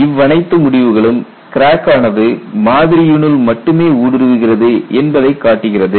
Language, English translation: Tamil, All this result show the crack will penetrate only into the specimen